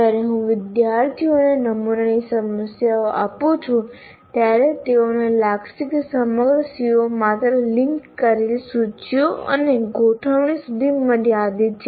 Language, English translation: Gujarati, So when I give sample problems to the students, they will feel that the entire CO is only constrained to linked list and arrays